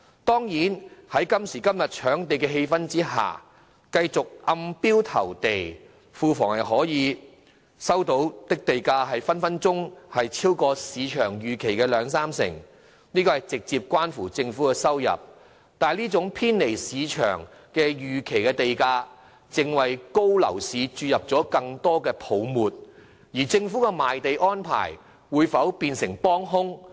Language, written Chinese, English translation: Cantonese, 當然，在今時今日的搶地氣氛下，繼續暗標投地，庫房收到的地價隨時可超出市場預期的兩三成，這直接關乎政府的收入，但這種偏離市場預期的地價，正為熾熱的樓市注入更多泡沫，而政府的賣地安排會否變成幫兇呢？, Owing to the current trend of scrambling for land there is of course a good chance for the Treasury to receive higher land revenue if we keep on conducting land sales by way of secret tender . This will have a direct implication on government revenue but land prices which deviate from market expectation will also increase the risk of price bubbles in the overheated property market . Has the Government poured oil on fire by adopting such land sale arrangements?